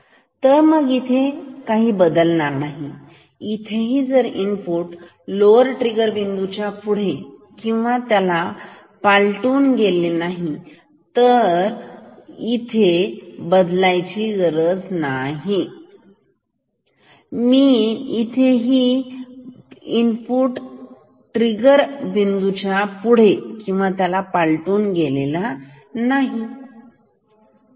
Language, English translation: Marathi, So, it will not change here even if the input is going or crossing lower trigger point; no, not here